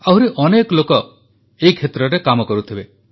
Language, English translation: Odia, Many more such people must be working in this field